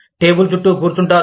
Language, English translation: Telugu, Sit across the table